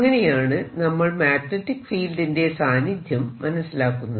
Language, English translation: Malayalam, that's how i know there is a magnetic field